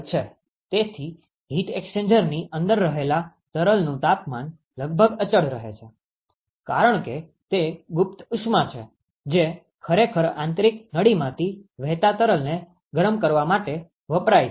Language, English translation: Gujarati, So, the temperature of the fluid inside the heat exchanger will remind approximately constant, because it is the latent heat which is actually being used to heat up the fluid which is flowing through the internal tube ok